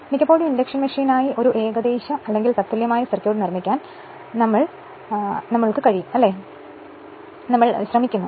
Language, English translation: Malayalam, Most of the times for induction machine we have spend to make an approximate or equivalent circuit right